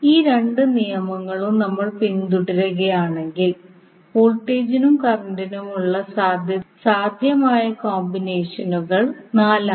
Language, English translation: Malayalam, So if we follow these two rules, the possible combinations for voltage and current are four